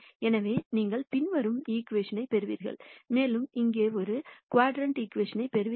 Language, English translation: Tamil, So, you get the following equation and you get a quadratic equation here